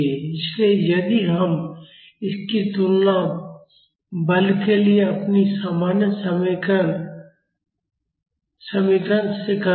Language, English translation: Hindi, So, if we compare it with our normal expression for the force